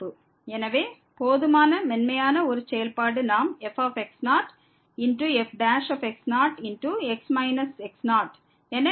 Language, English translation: Tamil, So, a function which is smooth enough we can write down as derivative , minus